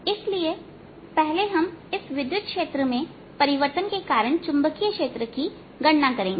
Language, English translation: Hindi, now we will calculate the magnetic field due to this time varying electric field